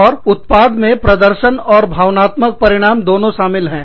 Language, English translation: Hindi, And, the output consists of, both performance and affective outcomes